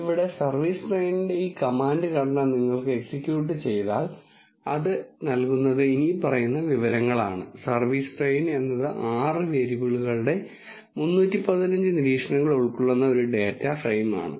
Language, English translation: Malayalam, Here, if you execute this command structure of service train, what it gives is the following information which says service train is a data frame which contains 315 observations of six variables